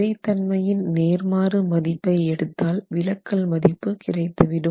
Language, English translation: Tamil, Now we take the inverse of the stiffness and that gives us the deflections